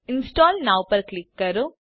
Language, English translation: Gujarati, Click on the Install Now button